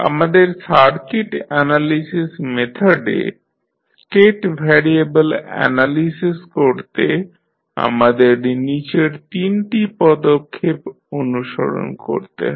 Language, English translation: Bengali, So, to apply the state variable analysis to our circuit analysis method we follow the following three steps